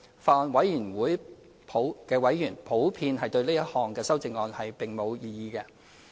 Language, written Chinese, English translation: Cantonese, 法案委員會委員普遍對這項修正案並無異議。, Members in general have not raised any objection to the amendment